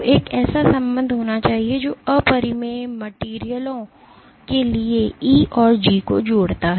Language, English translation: Hindi, So, there must be a relationship which connects E and G for incompressible materials